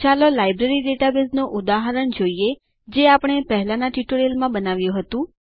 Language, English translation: Gujarati, Let us consider the Library database example that we created in the previous tutorials